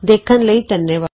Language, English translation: Punjabi, Ltd Thanks for joining